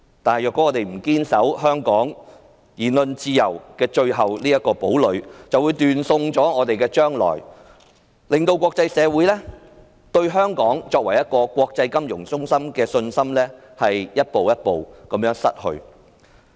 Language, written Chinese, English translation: Cantonese, 但是，如果我們不堅守香港的言論自由這個最後堡壘，便會斷送我們的將來，令國際社會對香港作為國際金融中心的信心逐步失去。, However if we do not hold fast to our last stronghold of freedom of speech in Hong Kong we will forfeit our future . The international communitys confidence in Hong Kong as an international financial centre will gradually diminish